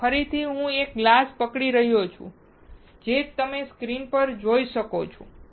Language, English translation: Gujarati, So, again I am holding a glass, so can you see on the screen